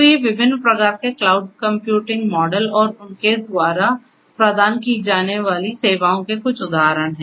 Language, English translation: Hindi, So, these are some of these examples of different; different types of cloud computing models and the services that they offer